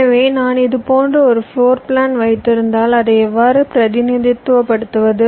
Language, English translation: Tamil, so so, once i have a floorplan like this, how do i represent it